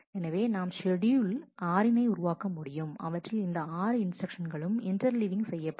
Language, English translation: Tamil, So, we produce a schedule 6, where these 6 instructions are interleaved